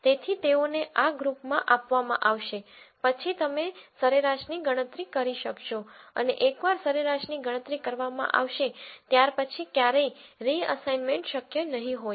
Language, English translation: Gujarati, So, they will be assigned to this group then you will calculate the mean and once a mean is calculated there will never be any reassignment possible afterwards